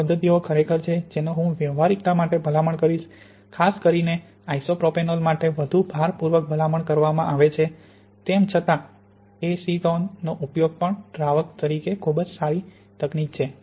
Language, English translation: Gujarati, And these are the methods really I would tend to recommend from practicality and particularly isopropanol is probably the more strongly recommended although acetone also is very good technique